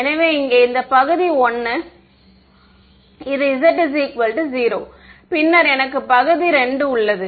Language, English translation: Tamil, So, this over here on top is region 1, this is z is equal to 0 and then I have region 2 ok